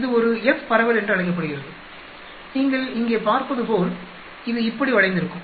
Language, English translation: Tamil, This is called an F distribution it is skewed like this as you can see here